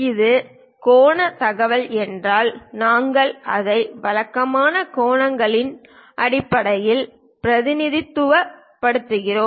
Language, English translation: Tamil, If it is angular information we usually represent it in terms of angles